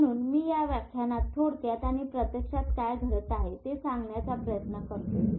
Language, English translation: Marathi, So I will just briefly try in this lecture go to and tell you what is happening actually because this is very important